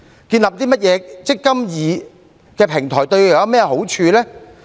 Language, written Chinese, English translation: Cantonese, 建立甚麼"積金易"的平台對他們有何好處？, Will the establishment of the eMPF platform bring any advantages to them?